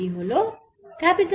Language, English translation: Bengali, this is r